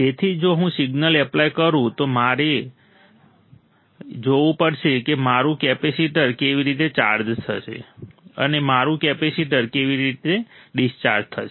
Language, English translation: Gujarati, So, if I apply this one right, if I apply the signal, I had to see how my capacitor will charge and how my capacitor will discharge